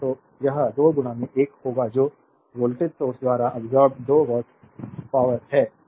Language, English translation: Hindi, So, it will be 2 into 1 that is 2 watt power absorbed by the voltage source